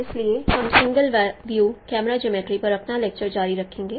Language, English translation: Hindi, So, we will continue our lecture on single view camera geometry